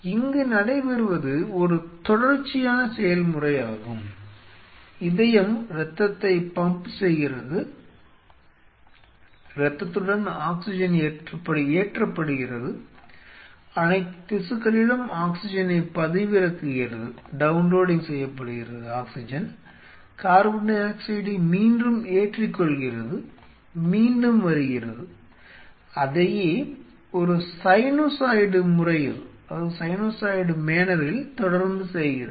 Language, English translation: Tamil, It is a continuous process which is happening, heart is pumping the blood is going loaded with oxygen downloading the oxygen at a specific at all tissues picks up, upload the carbon dioxide comes back again do the same thing in a side sinusoidal manner it is continuously wearing